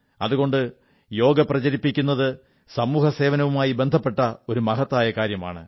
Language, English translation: Malayalam, Therefore promotion of Yoga is a great example of social service